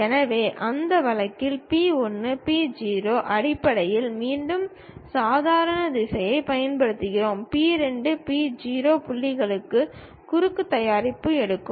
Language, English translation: Tamil, So, in that case we again use normal vector in terms of P 1, P 0; taking a cross product with P 2, P 0 points